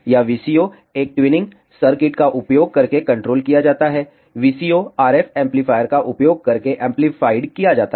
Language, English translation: Hindi, This VCO is controlled using a tuning circuit the output of the VCO is amplified by using an RF amplifier